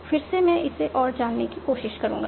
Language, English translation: Hindi, Again, I will try to explore this further